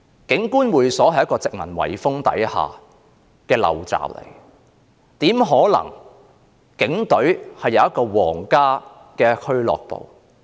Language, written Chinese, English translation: Cantonese, 警官會所是殖民遺風下的陋習，警隊怎可能擁有一個皇家俱樂部呢？, The existence of the Police Officers Club is a corrupt custom from the colonial era . How come the Police Force is allowed to have a royal club?